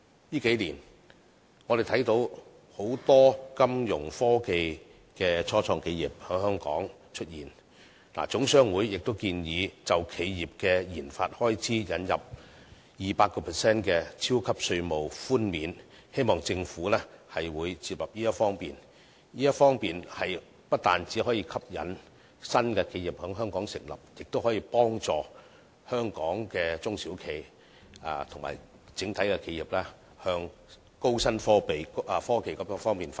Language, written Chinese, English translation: Cantonese, 近數年，我們看到很多金融科技初創企業在香港出現，總商會建議就企業的研發開支引入 200% 的超級稅務寬免，希望政府會接納這項建議，因為此舉不單可以吸引新的企業在香港成立，亦可幫助香港的中小企及整體企業向高新科技方面發展。, In recent years we see the emergence of many financial technology start - ups in Hong Kong and HKGCC thus proposes the introduction of a 200 % mega tax allowance for the research and development expenditure of enterprises . I hope that the Government can accept this proposal because this can induce new enterprises to Hong Kong and also assist our SMEs and overall enterprises in Hong Kong to develop in new and high technologies